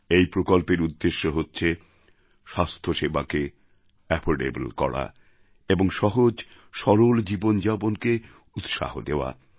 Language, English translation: Bengali, The motive behind this scheme is making healthcare affordable and encouraging Ease of Living